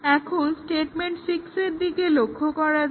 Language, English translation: Bengali, Now, let us look at statement 6